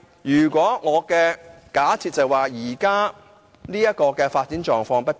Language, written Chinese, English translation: Cantonese, 不過，我的假設是基於現時的發展狀況不變。, But my assumption is based on the fact that there is no change in the present development